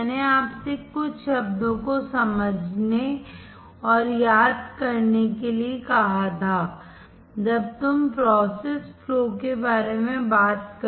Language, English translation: Hindi, I had asked you to understand and remember some terms when you talk about the process flow